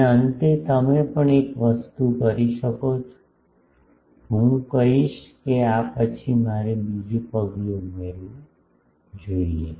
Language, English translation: Gujarati, And finally, also you can do one thing I will say that after this I should add another step